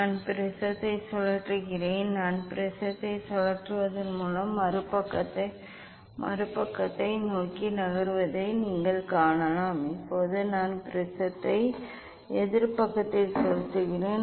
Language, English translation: Tamil, I am rotating the prism; I am rotating the prism; you can see this it is moving towards this other side now I am rotating the prism in opposite side